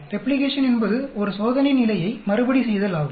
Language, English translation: Tamil, Replication is a repetition of an experimental condition